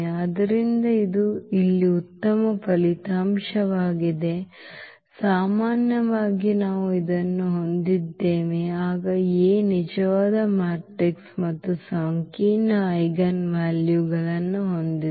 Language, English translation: Kannada, So, that is a nice result here in general we have this then A is a real matrix and has complex eigenvalues